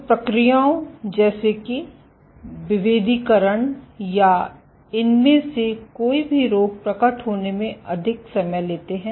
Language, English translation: Hindi, So, processors like differentiation or any of these diseases are take much more longer time to manifest